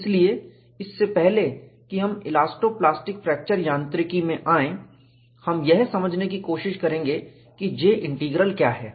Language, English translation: Hindi, So, before we get into elasto plastic fracture mechanics, we will try to understand what is J Integral